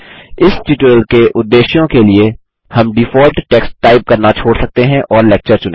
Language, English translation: Hindi, For the purposes of this tutorial, we shall skip typing the default text and select a lecture